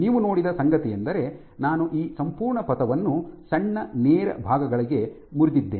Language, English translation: Kannada, What you saw is I have broken this entire trajectory to short straight segments